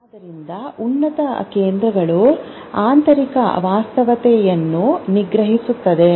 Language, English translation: Kannada, So, the higher centers suppress the internal reality